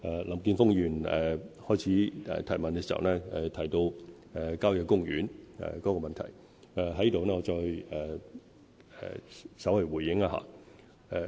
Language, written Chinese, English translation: Cantonese, 林健鋒議員提問時，首先提到郊野公園的問題，我在此稍作回應。, Let me respond briefly to the problem of country parks mentioned by Mr Jeffrey LAM at the beginning of his question